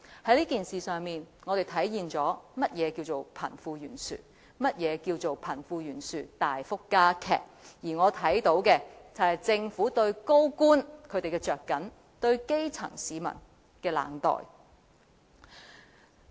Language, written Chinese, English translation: Cantonese, 在這件事上，我們體會到何謂貧富懸殊，何謂貧富懸殊大幅加劇，我也看到政府對高官的着緊、對基層市民的冷待。, Through this incident we experience the reality of disparity between the rich and the poor and the drastic widening of that disparity . On the other hand I also witnessed how the Government had shown concern about senior government officials and been indifferent to the grass roots